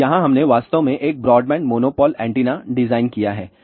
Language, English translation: Hindi, So, here we have actually designed a broadband monopole antenna